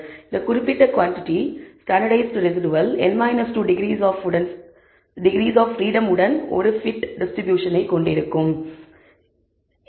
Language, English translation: Tamil, Now you can also show that this particular quantity the standardized residual will have a t distribution with n minus 2 degrees of freedom